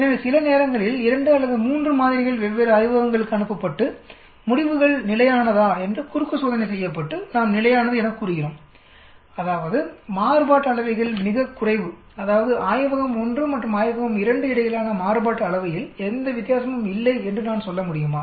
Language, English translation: Tamil, So sometimes samples are sent to 2 or 3 different labs and cross checked to see whether the results are consistent and we say consistent, that mean variances are minimal, that means can I say there is no difference between the variance from lab 1 to lab 2